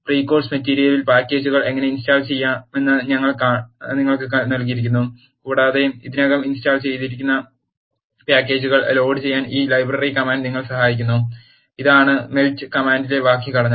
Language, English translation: Malayalam, In the pre course material we have given you how to install packages and this library command helps you do load the packages, that are already installed and this is the syntax of the melt comment